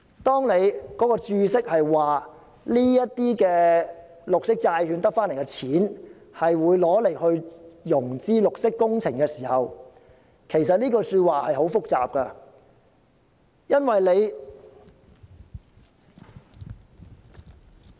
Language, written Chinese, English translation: Cantonese, 當局在註釋中說明這些由綠色債券集資而來的資金，將會用作融資綠色工程時，這是很複雜的。, When the authorities state in the Explanatory Note that proceeds from green bonds will be used for financing green works projects the case is very complicated